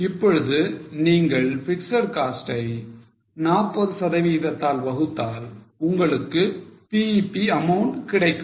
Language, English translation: Tamil, Now if you divide fixed cost by 40%, you will get BEP amount